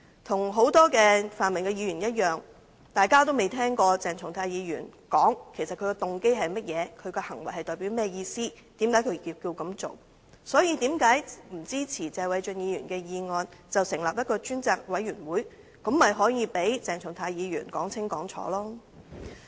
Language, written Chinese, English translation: Cantonese, 與很多泛民的議員一樣，大家均未曾聽過鄭松泰議員解釋他的動機為何、他的行為代表甚麼意思、為甚麼他要這樣做，因此，為甚麼他們不支持謝偉俊議員的議案，成立調查委員會，讓鄭松泰議員說清楚？, Like many pan - democrat Members we have yet heard Dr CHENG Chung - tai explain his motive or what his behaviour meant and why he had to do it . Such being the case why do they not support Mr Paul TSEs motion so that an investigation committee can be set up for Dr CHENG Chung - tai to explain his case clearly?